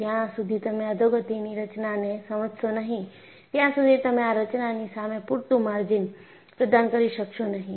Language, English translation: Gujarati, Unless you understand the degradation mechanisms, you will not be able to provide sufficient margins against these mechanisms